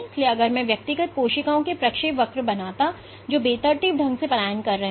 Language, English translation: Hindi, So, if I were to draw the trajectories of individual cells which are migrating randomly